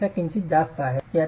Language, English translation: Marathi, 2 and slightly more than 0